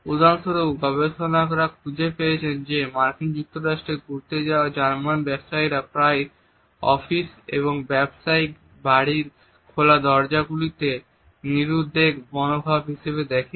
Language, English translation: Bengali, For example, researchers have found that German business people visiting the US often look at the open doors in offices and business houses as an indication of a relaxed attitude which is even almost unbusiness like